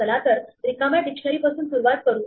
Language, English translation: Marathi, So, let us start with an empty dictionary